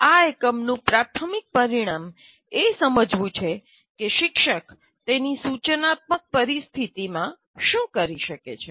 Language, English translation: Gujarati, So the major outcome of this unit is understand what the teacher can do in his instructional situation